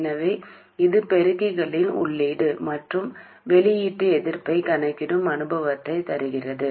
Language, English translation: Tamil, So this also kind of gives us an experience of calculating input and output resistances of amplifiers